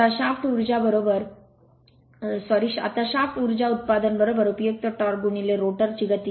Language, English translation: Marathi, Now, shaft power output is equal to useful torque into rotor speed